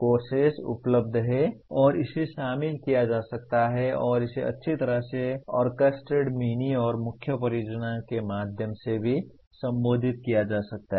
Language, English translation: Hindi, There are courses available and it can be included and it can also be addressed through well orchestrated mini and main projects